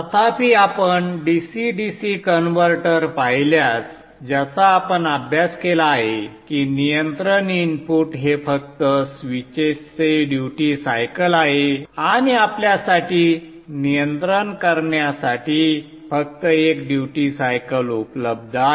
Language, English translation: Marathi, However, if you look at the DCDC converter that we have studied, the control input is only the duty cycle to the switches and there is only one duty cycle available for you to control